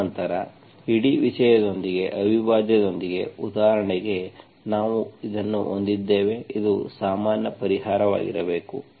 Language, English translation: Kannada, And then, that together with the whole thing, with the integral, so for example we have this, this should be the general solution